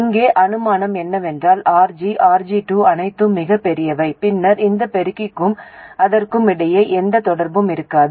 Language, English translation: Tamil, The assumption here is that RG, RG2 are all very large, then there will be no interaction between this amplifier and that one